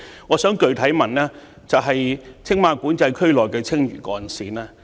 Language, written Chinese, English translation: Cantonese, 我的補充質詢關乎青馬管制區內的青嶼幹線。, My supplementary question is about the Lantau Link in TMCA